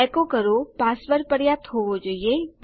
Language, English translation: Gujarati, echo password should be enough...